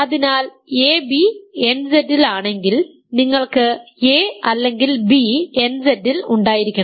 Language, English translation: Malayalam, So, if ab is in nZ you have a is in nZ or here b is in nZ